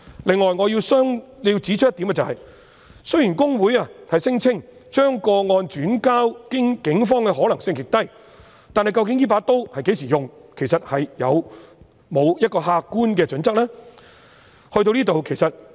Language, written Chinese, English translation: Cantonese, 此外，我亦要指出一點，雖然公會聲稱將個案轉介警方的可能性極低，但究竟這把刀會在何時使用，有沒有客觀的準則？, Furthermore I have one more point to make . HKICPA claimed that it would be unlikely for it to refer to the Police a complaint but are there any objective criteria on when the referral will be made?